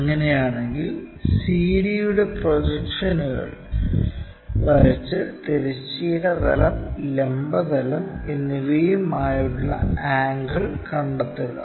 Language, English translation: Malayalam, If that is the case draw projections of CD and find angles with horizontal plane and vertical plane